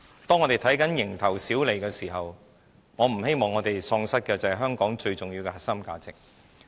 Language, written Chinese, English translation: Cantonese, 當我們只看着蠅頭小利時，我不希望我們喪失的是香港最重要的核心價值。, When we focus only on the small sum of profit I hope that we are not going to lose the core values which are most important to Hong Kong